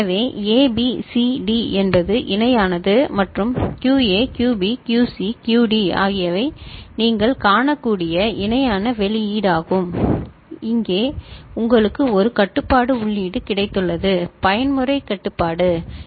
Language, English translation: Tamil, So, A, B, C, D is the parallel in and QA, QB, QC, the QD are the parallel output that you can see and here you have got one control input, mode control ok